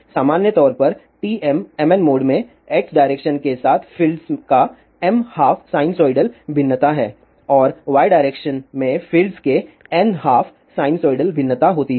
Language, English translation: Hindi, In general, an TM mn mode there is m half sinusoidal variation of fields along x direction and there are n half sinusoidal variations of the fields in y direction